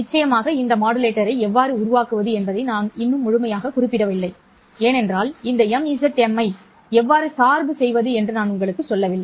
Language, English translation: Tamil, Of course, I have not yet completely specified how to construct this modulator because I have not told you how to bias this MZM